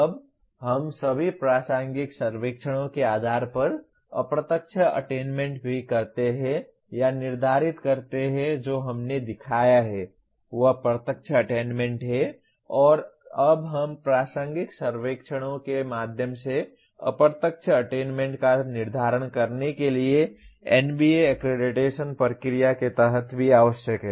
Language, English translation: Hindi, Now we also do or determine the indirect attainment based on all relevant surveys that is what we showed is the direct attainment and now we also it is necessary under NBA accreditation process to determine the indirect attainment through relevant surveys